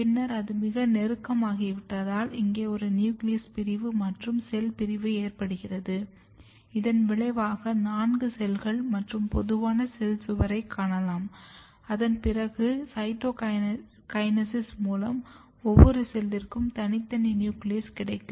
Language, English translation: Tamil, And then once it is very close, you can see that there is a cell division here a nuclear division and cell division, and result is that you can see four cell stage and common cell wall and just after that there is a cytokinesis and every cell has their own nucleus